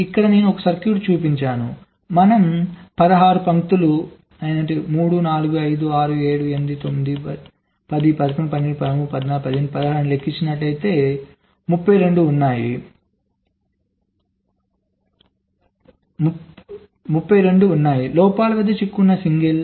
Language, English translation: Telugu, if we count, there are sixteen lines: three, four, five, six, seven, eight, nine, ten, eleven, twelve, thirteen, fourteen, fifteen, sixteen, so there are thirty two possible signal: stuck at fault